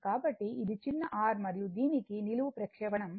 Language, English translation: Telugu, So, this is small r right and this for this , vertical projection is 39